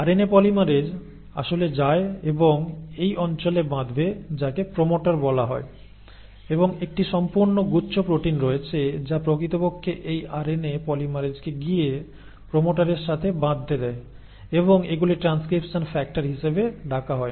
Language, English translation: Bengali, RNA polymerase actually goes and binds to this region which is called as the promoter and there are a whole bunch of proteins which allow these RNA polymerase to actually go and bind to the promoter, they are called as transcription factors